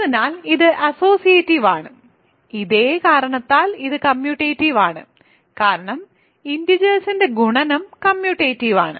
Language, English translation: Malayalam, So, this is associative, this is also commutative for the same reason right, because multiplication of integers is commutative